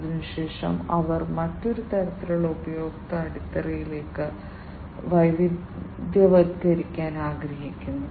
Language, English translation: Malayalam, And thereafter, they want to diversify to another type of customer, you know, customer base